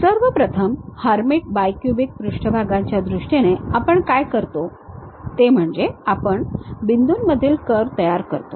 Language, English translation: Marathi, The first one, in terms of Hermite bi cubic surfaces, what we do is we construct a curve between points